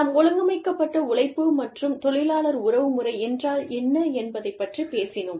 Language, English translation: Tamil, We talked about, what organized labor was, and what labor relations meant